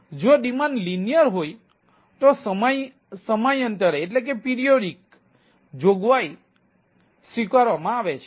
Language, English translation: Gujarati, if the demand is linear, periodic provisioning is acceptance